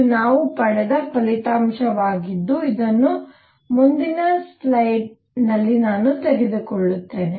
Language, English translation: Kannada, So, this is a result which we have got which I will through take to the next slide